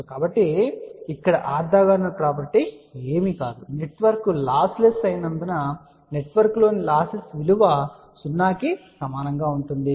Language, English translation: Telugu, So, over here orthogonal property is nothing but since a network is losses within the network will be equal to 0